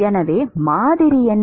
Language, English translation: Tamil, So, what is the model